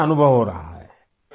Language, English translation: Urdu, How are you feeling